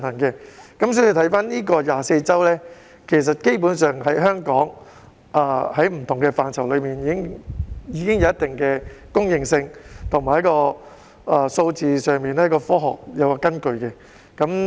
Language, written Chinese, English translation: Cantonese, 因此 ，24 周的界線，在香港不同範疇上，其實早已有一定公認性，在數字上也是有科學根據的。, For that reason a demarcation of 24 weeks is commonly recognized by various sectors in Hong Kong and as far as the number is concerned it has its scientific basis